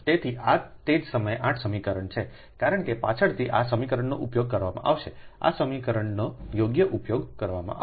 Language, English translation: Gujarati, so this is equation number eight, right at the same time, because later this equation will be used, this equation will be used right now